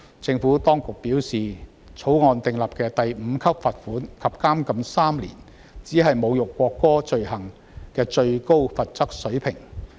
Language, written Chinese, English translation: Cantonese, 政府當局表示，《條例草案》訂立的第5級罰款及監禁3年，是侮辱國歌的罪行的最高罰則水平。, The Administration has advised that a fine at level 5 and imprisonment for three years is the maximum level of penalty of the offence of insulting the national anthem provided under the Bill